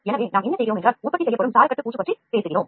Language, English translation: Tamil, So, what we do is we talk about coating the scaffold whatever is manufactured